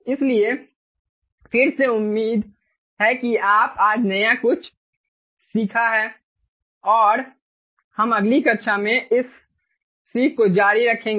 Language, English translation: Hindi, ok, so again, hopefully, ah, you have learned something new today and we will continue with this learning in the next class